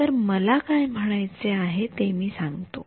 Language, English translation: Marathi, So, I will tell you what I mean